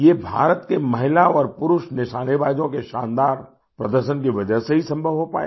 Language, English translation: Hindi, This was possible because of the fabulous display by Indian women and men shooters